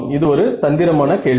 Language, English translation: Tamil, Yeah, it was a trick question